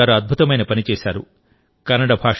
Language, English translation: Telugu, Suresh Kumar ji also does another wonderful job